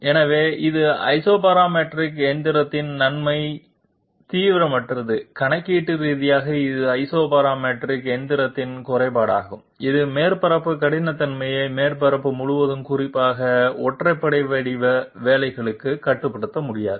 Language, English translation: Tamil, So this is the advantage of Isoparametric machining non intensive computationally and this is the disadvantage of Isoparametric machining that surface roughness cannot be controlled all over the surface especially for odd shaped jobs